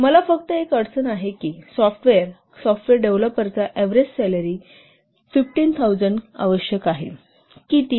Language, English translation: Marathi, Assume that the average salary of a software developer is 15,000 per month